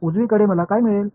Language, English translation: Marathi, On the right hand side, what will I get